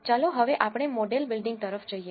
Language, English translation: Gujarati, Now, let us go on to model building